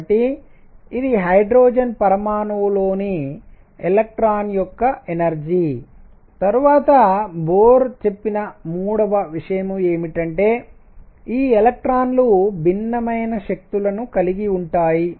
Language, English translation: Telugu, So, this is the energy of an electron in hydrogen atom and then the third thing that Bohr said is that these electrons that have energies which are different, so minus 13